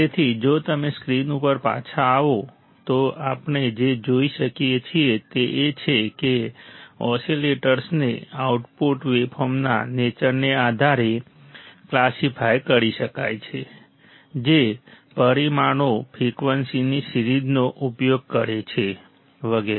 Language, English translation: Gujarati, So, if you come back on the screen, what we can see is that the oscillators can be classified based on the nature of output of the waveform nature of the output waveform the parameters used the range of frequency, etc etc